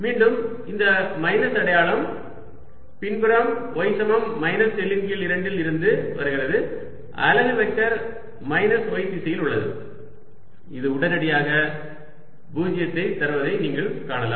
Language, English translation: Tamil, this minus sign again arises because on the backside, at y equals minus l by two, the unit vector is in the minus y direction and this, you can see immediately, gives me zero